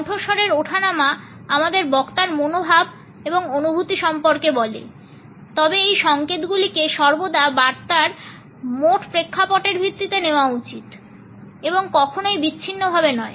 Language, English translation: Bengali, Tone of the voice tells us about the attitudes and feelings of the speaker, these signals however should always be taken as a part of the total context of the message and never in isolation